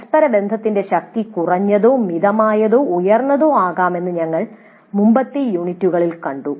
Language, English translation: Malayalam, This we have seen in the earlier units that the correlation strength can be low, moderate or high